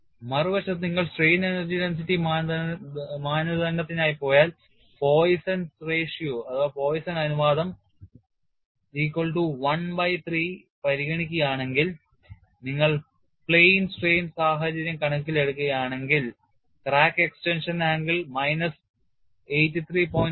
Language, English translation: Malayalam, On the other hand, if you go for strain energy density criterion and if you consider Poisson ratio equal to 1 by 3 and if you take the plane strain situation, the crack extension angle is minus 83